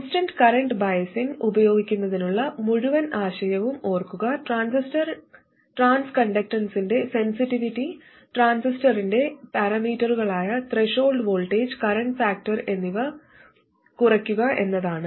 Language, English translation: Malayalam, Remember the whole idea of using constant current biasing was to reduce the sensitivity of the transconductance to the parameters of the transistor such as the threshold voltage and current factor